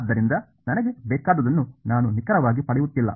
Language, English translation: Kannada, So, I am not exactly getting what I want